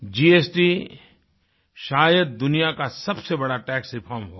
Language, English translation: Hindi, GST is probably be the biggest tax reform in the world